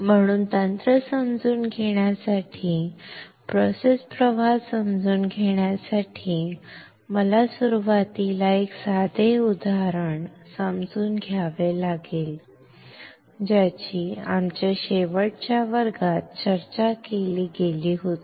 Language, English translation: Marathi, So, to understand the technique, to understand that process flow I have to understand initially a simple example which was discussed in our last class